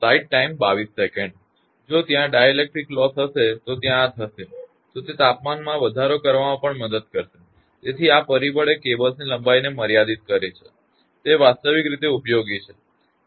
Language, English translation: Gujarati, If there is dielectric loss means there is this thing, it will also help to increase the temperature, so these factor limits the length of cables used in actual practice